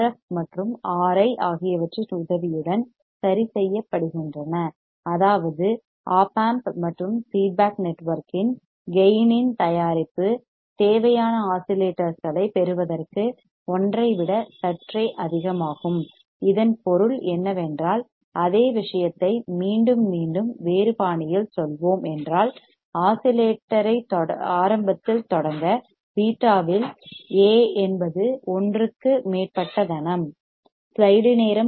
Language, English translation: Tamil, The gain of the op amp adjusted with the help of resistors RF and R I such that the product of gain of op amp and the feedback network is slightly greater than one to get the required oscillations; that means, what he said that the same thing again and again we will say in a different fashion that to start the oscillation initially my A into beta is crap greater than one